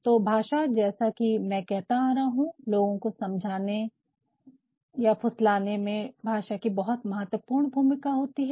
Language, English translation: Hindi, So, language as I have been telling that language has a very important role in convincing people in persuading people